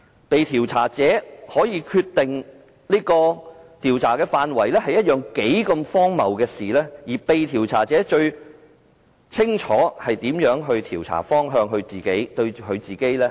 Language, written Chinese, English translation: Cantonese, 被調查者可以決定調查範圍是一件多麼荒謬的事，而被調查者最清楚哪個調查方向對自己最有利。, It is really ridiculous that the subject of inquiry can determine the scope of inquiry as he knows perfectly well which direction of inquiry is most favourable to him